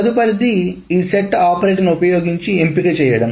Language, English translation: Telugu, The next is on selection using this set operators